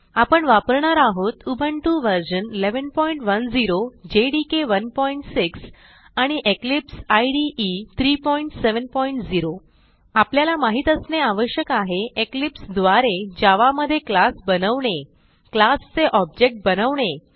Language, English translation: Marathi, Here we are using Ubuntu version 11.10 jdk 1.6 And Eclipse IDE 3.7.0 To follow this tutorial you must know how to create a class in Java using Eclipse